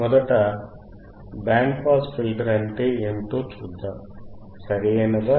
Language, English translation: Telugu, Let us first see what exactly the band pass filter is, right